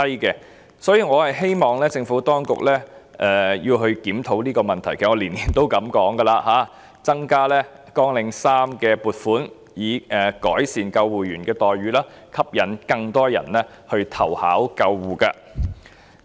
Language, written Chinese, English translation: Cantonese, 因此，我希望政府當局檢討這個問題，其實我每年都這樣建議，要求增加綱領3的撥款，以改善救護人員的待遇，吸引更多人投考救護職位。, As such I hope that the Administration will review this issue . In fact I would make the same suggestion every year requesting to increase the financial provision for Programme 3 with a view to improving the remuneration package for ambulance personnel in order to attract more people to apply for posts in the ambulance stream